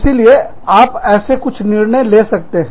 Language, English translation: Hindi, So, that is some decision, that you might take